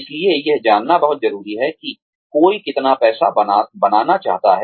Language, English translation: Hindi, So, it is very important to know, how much money, one wants to make